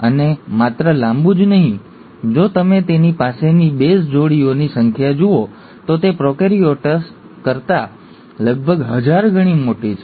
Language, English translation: Gujarati, And not just long, if you look at the number of base pairs it has, it's about thousand fold bigger than the prokaryotes